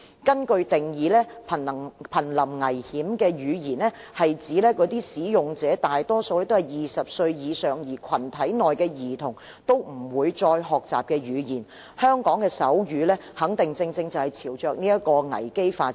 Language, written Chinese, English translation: Cantonese, 根據定義，瀕臨危險的語言是指那些使用者大多數是20歲以上人士，而群體內的兒童都不會再學習的語言，香港的手語肯定正朝着這個危機發展。, An endangered language is defined as a language which is used by people mostly older than 20 and the children in the group of people will not learn the language . The sign language in Hong Kong is definitely developing towards the risk of increasing endangerment